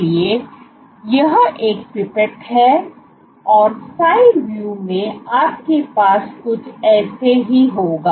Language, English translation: Hindi, So, this is a pipette and so, in side view you would have something like this